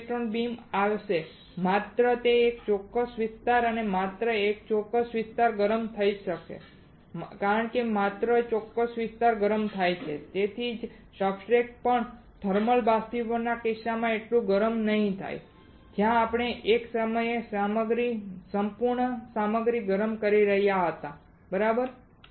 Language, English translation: Gujarati, Now the electron beam will come and only a particular area only a particular area at a time will get heated up, because only particular area gets heated up that is why the substrate also will not get heated up as much as in case of thermal evaporation where we were heating the entire material entire material at a time right